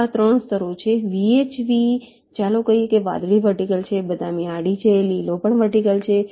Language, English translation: Gujarati, v h v is, lets say, blue is vertical, brown is horizontal, green is also vertical